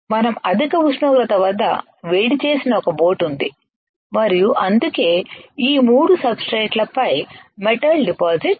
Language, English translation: Telugu, There is a boat which we have heated at high temperature and that is why the metal is getting deposited onto these 3 substrates